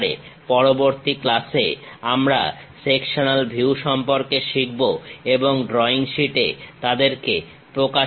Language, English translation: Bengali, In next class, we will learn more about the sectional views and represent them on drawing sheet